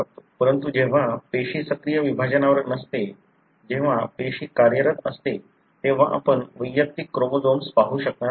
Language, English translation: Marathi, But, when the cell is not at active division, when the cell is functional, then you will not be able to see individual chromosomes